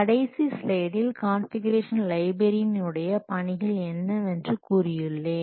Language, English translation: Tamil, In the last slide I have told what are the duties of a Confucian library